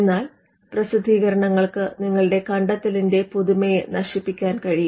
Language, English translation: Malayalam, But publications are also capable of killing the novelty of your invention